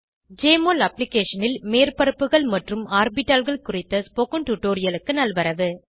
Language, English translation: Tamil, Welcome to this tutorial on Surfaces and Orbitals in Jmol Application